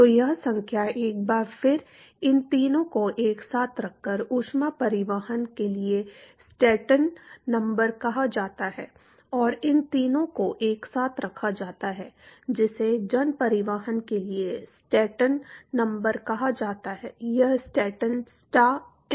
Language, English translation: Hindi, So, this number once again this these three put together is called as the Stanton number for heat transport and these three put together is what is called Stanton number for mass transport, this is Stanton s t a n